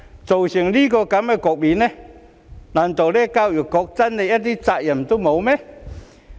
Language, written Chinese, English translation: Cantonese, 造成這種局面，難道教育局真的一點責任也沒有？, Is the Education Bureau really not responsible for causing this situation at all?